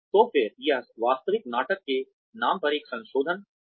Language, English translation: Hindi, So again, this is a modification of the name of the actual play